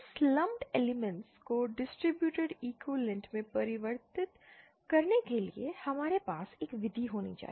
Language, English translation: Hindi, We have to have a method for converting this lumped elements to distributed equivalent